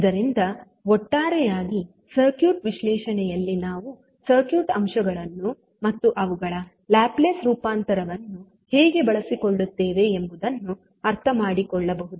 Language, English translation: Kannada, So now, let us take some examples so that we can understand how we will utilize the circuit elements and their Laplace transform in the overall circuit analysis